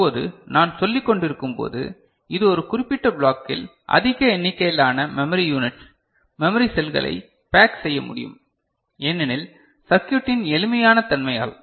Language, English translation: Tamil, Now, as I was telling that it has, it can pack large number of memory units, memory cells in one particular block, because of the simple nature of the circuit